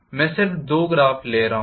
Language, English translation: Hindi, I am just taking two graphs